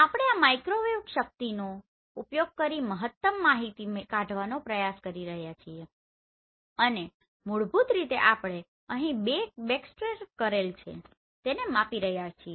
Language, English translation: Gujarati, And we are trying to extract maximum information using this microwave energies and basically here we are measuring the backscattered right